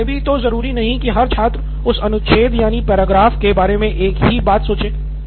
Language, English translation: Hindi, But every student need not necessarily be thinking the same thing about that paragraph